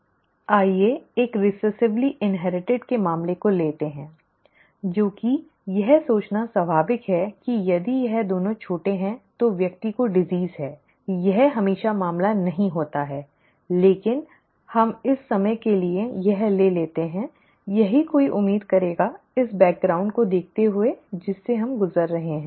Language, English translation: Hindi, Let us take the case of a recessively inherited disorder, okay, which is what would be natural to think if it is both small then the person has the disease, that is not always the case but let us, let us take that for the time being, that is what would be, that is what one would expect given the background that we have been through